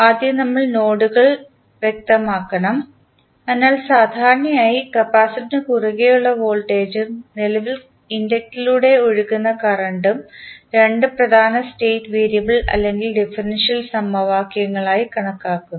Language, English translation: Malayalam, First we have to specify the nodes, so, as we know that generally we consider the voltage across capacitor and current flowing inductor as the two important state variable or the differential equations